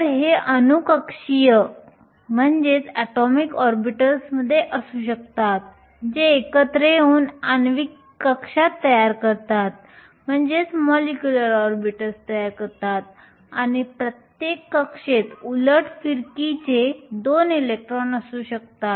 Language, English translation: Marathi, So, these could be atomic orbitals which come together to form molecular orbitals and each orbital can have 2 electrons of opposite spin